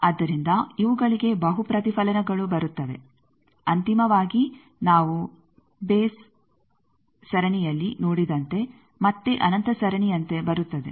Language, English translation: Kannada, So, multiple reflections that come to these ultimately again it comes like a infinite series as we have seen odd series